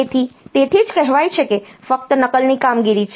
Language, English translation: Gujarati, So, that is why it is said that it is simply a copy operation